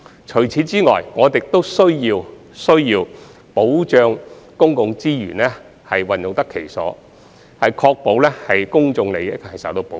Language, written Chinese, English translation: Cantonese, 除此以外，我們亦需要保障公共資源用得其所，確保公眾利益受到保護。, Apart from this we also need to ensure that public resources are properly used and public interest is protected